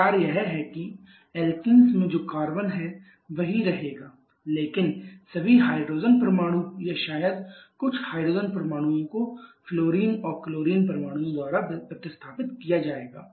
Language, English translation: Hindi, The idea is the carbon that is there in the alkenes will remain the same but all the hydrogen atoms or maybe some of the hydrogen atoms will be replaced by fluorine and chlorine